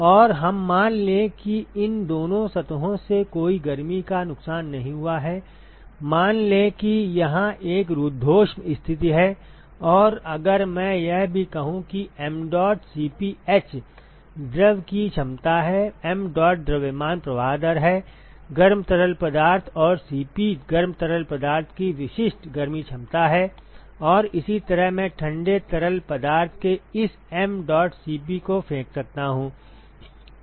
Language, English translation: Hindi, And let us assume that there is no heat loss from the both these surfaces, let us assume, that it is a an adiabatic situation and if I also say that mdot Cp h is the capacity of the fluid, mdot is the mass flow rate of the hot fluid and Cp is the specific heat capacity of the hot fluid and similarly I can throw this mdot Cp of a cold fluid